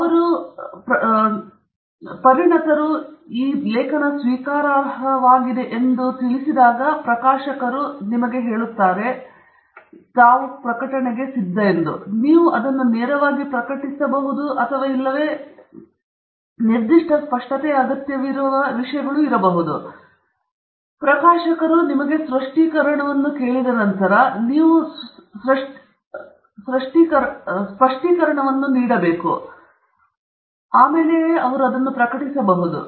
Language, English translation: Kannada, So, they may say, you know, that it is very good, you can directly publish it or they may say, no, specific things we need some clarification on, and once you provide that clarification, it can be published